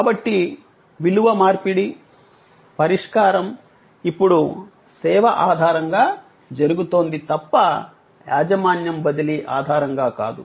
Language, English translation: Telugu, So, the exchange of value is taking place on the basis of solution and service and not on the basis of transfer of ownership